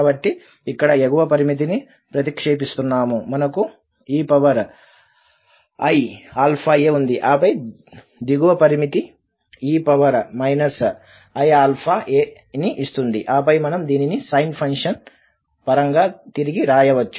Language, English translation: Telugu, So, while substituting the upper limit there e power i alpha a and then the lower limit e power minus i alpha a, and then we can also rewrite this in terms of the sine function